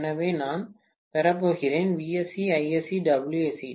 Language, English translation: Tamil, So, I am going to have Vsc, Isc and Wsc